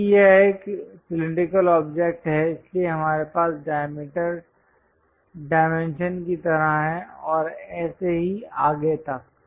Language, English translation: Hindi, Because it is a cylindrical object that is a reason diameters and so on